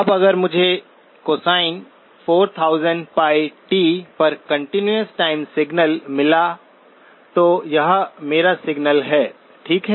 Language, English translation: Hindi, Now if I had a continuous time signal, at cosine 4000 pi t, that is my signal, okay